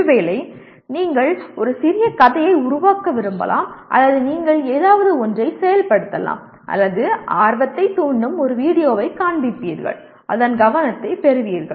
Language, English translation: Tamil, Maybe you want to create a small story or you enact something or you show a video that arouses the interest and to get the attention of that